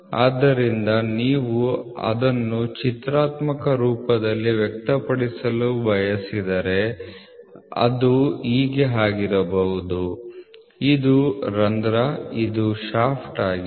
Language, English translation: Kannada, So, if you wanted to express it in a pictorial form, so then it can be this is hole this is a shaft